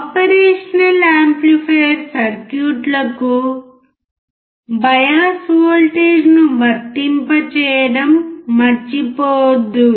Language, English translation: Telugu, Do not forget to apply the bias voltage to the operation amplifier circuits